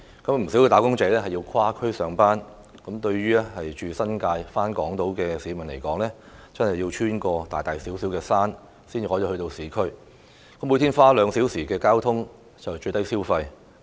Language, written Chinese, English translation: Cantonese, 不少"打工仔"須跨區上班，對於家住新界而在港島上班的市民來說，真的要穿越大大小小的"山"才能到達市區，每天花兩小時通勤屬"最低消費"。, Many wage earners have to travel across districts for work . To people who live in the New Territories and work on the Hong Kong Island they really have to negotiate big and small mountains before reaching the urban area and spending two hours a day on commuting is the minimum charge